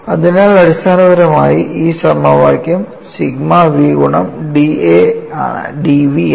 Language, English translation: Malayalam, So, essentially this equation should reduce to sigma v into d A not d v